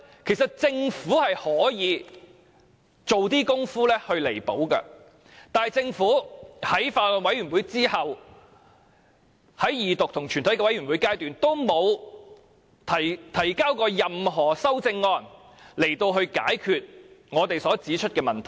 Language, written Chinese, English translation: Cantonese, 其實政府是可以做些工夫去彌補的，但政府在法案委員會審議之後，沒有在二讀及全體委員會階段提交任何修正案，以解決我們所指出的問題。, Actually the Government can do something to rectify them . But after the Bills Committee has scrutinized the Bill the Government has not proposed any amendment during the Second Reading and Committee stage of the whole Council to address the problems pointed out by us